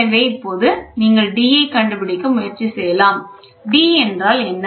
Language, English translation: Tamil, So now, you can try to find out the d, what is d